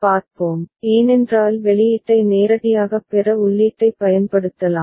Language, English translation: Tamil, Let us see, because we can use the input to get the output directly